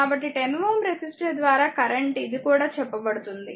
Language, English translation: Telugu, So, current through 10 ohm resistor, this is also told you